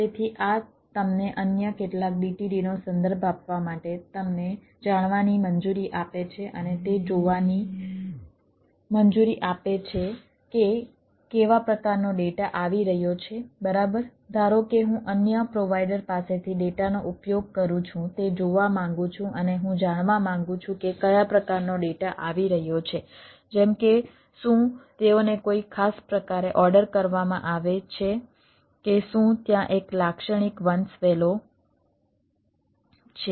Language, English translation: Gujarati, so this allows us, ah, you know, ah, two referred to some others d t d and see that what sort of data is coming right, suppose i i want to look at, i am consuming a data from another provider and i want to know that what sort of data is coming up like, whether they are ordered in a particular fashion, whether there is a typical hierarchy